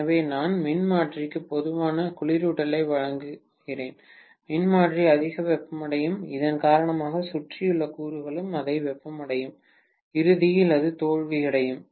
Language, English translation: Tamil, So, am I providing adequate cooling for the transformer, will the transformer get overheated, because of which the surrounding components will also get overheated and ultimately it will result in a failure, right